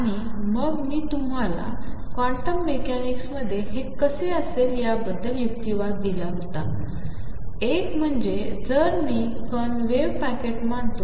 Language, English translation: Marathi, And then I gave you arguments about how it appears in quantum mechanics, one was that if I consider a particle as a wave packet